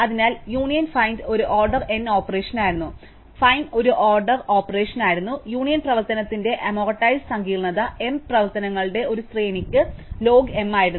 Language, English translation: Malayalam, So, make union find was an order n operation, find was an order one operation and the amortized complexity of the union operation was log m for a sequence of m operations